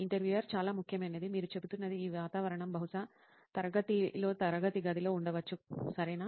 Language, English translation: Telugu, So important, you are saying this environment would probably be in the class, in the classroom, right